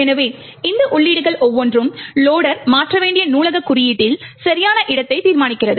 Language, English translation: Tamil, So, each of these entries determines the exact location in the library code the loader would need to modify